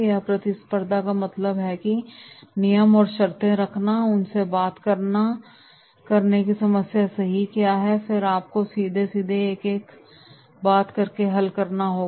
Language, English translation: Hindi, And competition means that is having the terms and conditions, talking them what is the problem right and then you have to resolve by talking directly 1 to 1 talk